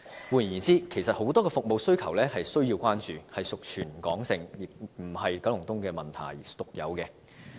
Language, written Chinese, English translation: Cantonese, 換言之，其實很多區的服務需求也是需要關注的，屬全港而非九龍東獨有的問題。, In other words the demand for services in a number of districts also requires attention which is a territory - wide issue not unique to Kowloon East